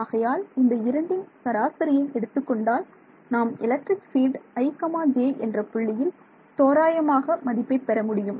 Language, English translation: Tamil, So, if I take the average of those two I will get an approximate value of the electric field at i comma j